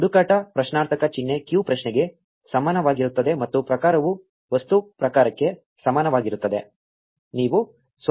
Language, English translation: Kannada, Search question mark q is equal to query and Type is equal to object type